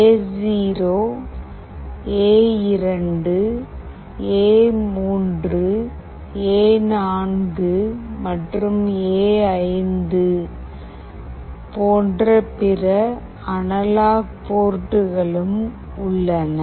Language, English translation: Tamil, There are other analog ports as well like A0, A2, A3, A4 and A5